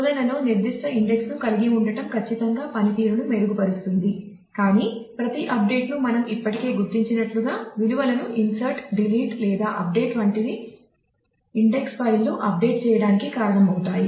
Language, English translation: Telugu, Having specific index on search certainly can improve performance, but as we have already noted every update with the be it insert, delete or update of values will result in update of the index files